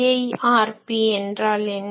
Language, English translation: Tamil, Now, what is the concept of EIRP